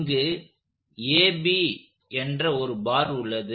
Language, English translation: Tamil, So, we will start with the bar AB